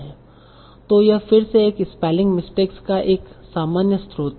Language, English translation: Hindi, So this is again a common source of spelling error